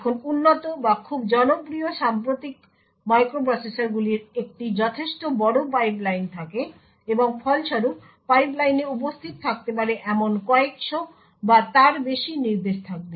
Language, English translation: Bengali, Now advanced or very popular recent microprocessors have a considerably large pipeline and as a result there will be several hundred or so instructions which may be present in the pipeline